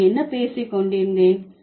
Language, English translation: Tamil, This is what I was talking about